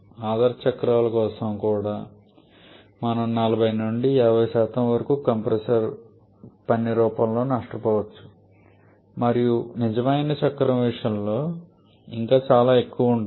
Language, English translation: Telugu, Even for ideal cycles we can have 40 to 50% loss in form of compressor work and even much more in case of a real cycle